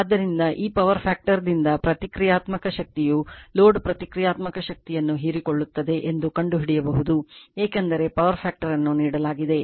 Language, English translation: Kannada, So, from this power factor you can find out also is reactive power absorb right load reactive power also because power factor is given